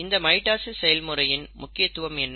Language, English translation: Tamil, Now what is the importance of mitosis